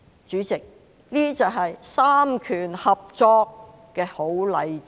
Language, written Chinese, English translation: Cantonese, 主席，這些就是三權合作的好例子。, President this is an excellent example of cooperation among the three branches of Government